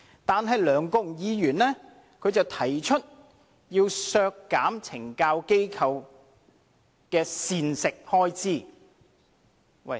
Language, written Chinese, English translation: Cantonese, 可是，梁國雄議員卻要提出削減懲教機構的膳食開支。, But then Mr LEUNG Kwok - hung proposes to cut the catering expenditure of CSD